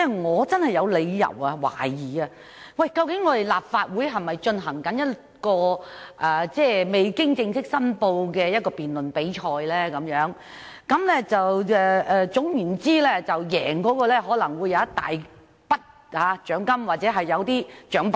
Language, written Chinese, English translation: Cantonese, 我真的有理由懷疑這兩天的辯論，立法會是否在進行一項未經正式申報的辯論比賽，其中的優勝者將可贏得一大筆獎金或獎品？, I have genuine reasons to suspect that the Legislative Council is having some kind of unofficial debate contest these two days whereby the winner will receive a huge sum of money or prizes